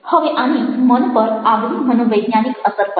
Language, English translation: Gujarati, now they have the distinctive psychological impact on them